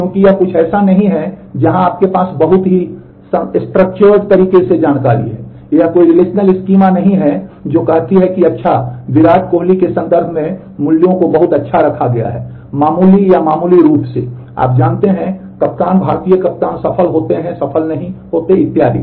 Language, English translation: Hindi, Because it is not something where you have a at the information in a very structured way this is no there is no relational schema which says that well the values are put in terms of Virat Kohli having done very good, moderately or marginally or you know the captain Indian captains are successful, not successful and so on